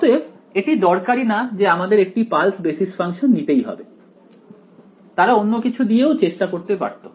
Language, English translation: Bengali, So, it is not necessary that they have to be pulse basis function they could have been trying well anything else ok